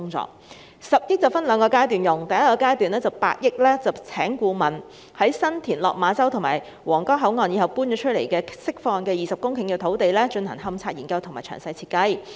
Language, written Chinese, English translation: Cantonese, 這10億元會分兩個階段使用，第一個階段會用8億元聘請顧問，在新田、落馬洲及皇崗口岸遷出後釋放的20公頃土地上，進行勘察研究和詳細設計。, This 1 billion will be used in two phases . During the first phase 800 million will be used for engaging consultants to undertake investigation and detailed works design for San Tin Lok Ma Chau and the 20 hectares of land to be released after the relocation of the Huanggang Port